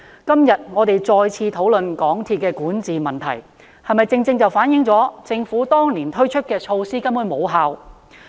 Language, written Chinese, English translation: Cantonese, 今天，我們再次討論港鐵公司的管治問題，是否正正反映政府當年推出的措施根本無效？, Today we again discuss the governance problems of MTRCL . Does this reflect that the measures implemented by the Government in that year are ineffective?